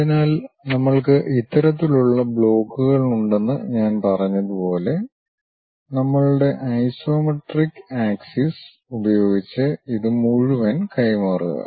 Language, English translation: Malayalam, So, as I said we have this kind of blocks, transfer this entire thing using our isometric axis